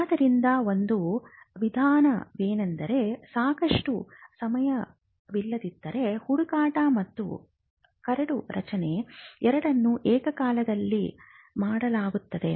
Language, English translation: Kannada, So, one approach even, if there is insufficient time is to do both the search and the drafting simultaneously